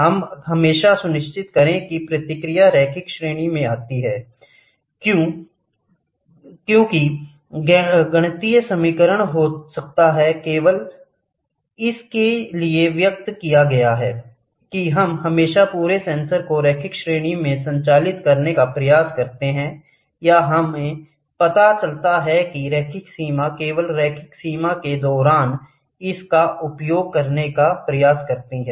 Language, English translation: Hindi, We always make sure that the response falls in the linear range; why the mathematical equation can be expressed only for that we always try to operate the entire sensor in the linear range or we find out the linear range try to use it only during the linear range